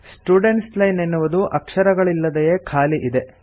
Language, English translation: Kannada, The Students Line is cleared of all characters and is blank